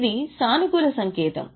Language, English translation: Telugu, But actually it's a positive sign